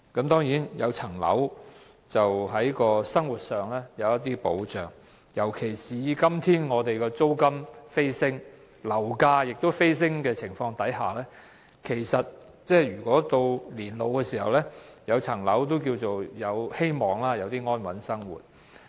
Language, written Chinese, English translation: Cantonese, 當然，擁有物業可令生活有一點保障，尤其是在今天租金、樓價飛升的情況下，如在年老時擁有物業，或有希望安穩地過活。, Certainly if one has a property his living is protected in some measure particularly when rents and property prices are surging these days . Persons with properties will hopefully have a more stable life in old age